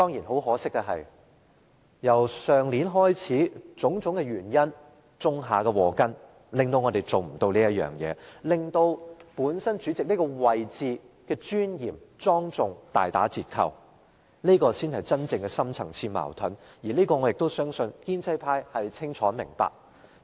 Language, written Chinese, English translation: Cantonese, 可惜的是，由去年開始，種種原因種下禍根，以致無法做到這一點，令主席這個位置的尊嚴及莊重大打折扣，這才是真正的深層次矛盾，我相信建制派對此清楚明白。, Unfortunately our wish is unfulfilled as the seeds of problems had been sown due to various reasons since last year undermining the dignity and solemnity of this position . This is our real deep - rooted conflict . I believe the pro - establishment camp knows it very well